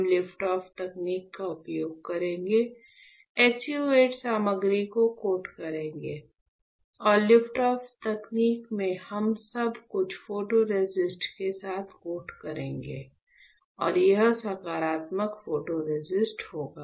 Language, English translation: Hindi, So, we will use the liftoff technique, coat the SU 8 material; and in liftoff technique what we will do, we will coat everything with photoresist and this will be our positive photoresist ok